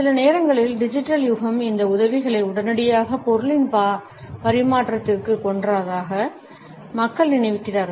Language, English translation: Tamil, Sometimes, people feel that the digital age has killed these aids to the immediate transference of meaning